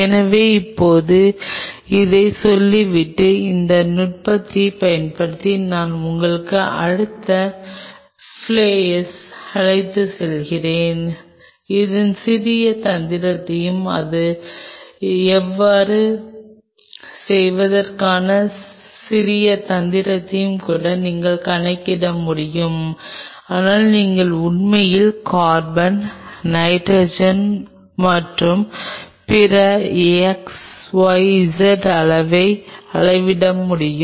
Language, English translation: Tamil, So, now having said this I will take you to the next flayer in to the gain using this technique you can even quantify its little tricky, its little tricky to do so, but you can actually quantify the amount of carbon nitrogen and all other xyz elements are there and if you can quantify